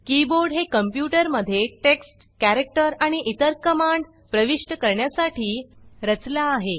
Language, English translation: Marathi, The keyboard is designed to enter text, characters and other commands into a computer